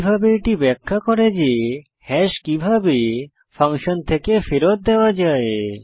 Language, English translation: Bengali, Similarly, this demonstrates how hash can be returned from a function